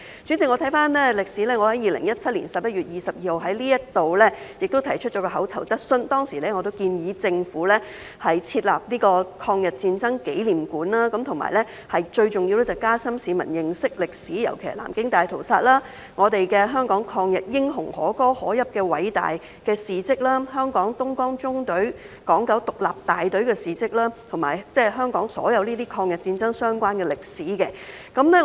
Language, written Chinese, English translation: Cantonese, 主席，我回顧歷史，在2017年11月22日，我也在這裏提出一項口頭質詢，當時我建議政府設立抗日戰爭紀念館，而最重要的是加深市民認識歷史，尤其是南京大屠殺、香港抗日英雄可歌可泣的偉大事蹟、香港東江縱隊港九獨立大隊的事蹟，以及香港所有抗日戰爭相關的歷史。, President let me look back on history . On 22 November 2017 I also raised an oral question here . Back then I advised the Government to set up a memorial hall for the War of Resistance against Japanese Aggression and the most important thing is to enhance the publics understanding of history especially the Nanjing Massacre the laudable and glorious deeds of Hong Kongs anti - Japanese heroes the deeds of the Hong Kong Independent Battalion of the Dongjiang Column and all the history related to the War of Resistance against Japanese aggression in Hong Kong